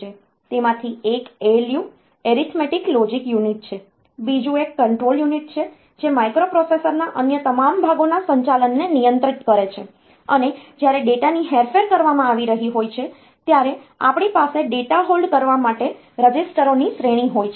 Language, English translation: Gujarati, The one of them is the ALU, Arithmetic Logic Unit, another one is the Control Unit that controls the operation of all other parts of the microprocessor and we have an array of registers for holding data while it is being manipulated